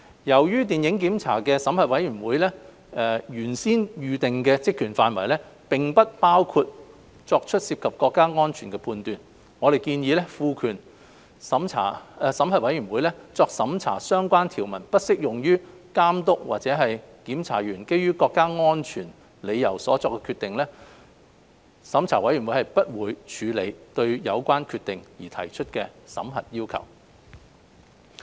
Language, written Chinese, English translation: Cantonese, 由於審核委員會的原先預定職權範圍，並不包括作出涉及國家安全的判斷，我們建議審核委員會作審核的相關條文不適用於監督或檢查員基於國家安全理由所作的決定，即審核委員會不會處理對有關決定而提出的審核要求。, We propose to disapply the relevant sections such that the Review Board would not process requests for reviewing any decision of the Authority or a censor made on national security ground as consideration of such matters will involve judgment outside the Review Boards intended remit